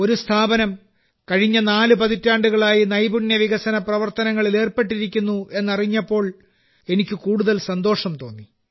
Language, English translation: Malayalam, And when I came to know that an organization has been engaged in skill development work for the last four decades, I felt even better